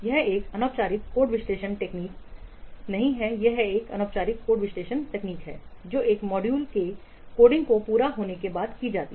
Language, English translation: Hindi, It is an informal code analysis technique which is undertaken after the coding of a module is complete